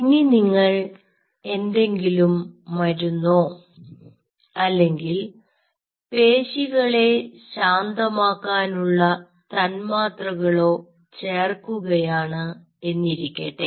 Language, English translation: Malayalam, now say, for example, you add a, say a drug or some other molecule like muscle relaxant or something